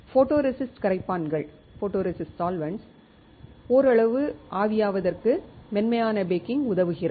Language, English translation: Tamil, Soft baking helps for partial evaporation of photoresist solvents